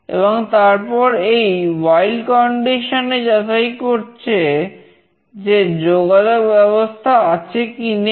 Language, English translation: Bengali, And then it is checking in this while condition, whether the connection is available or not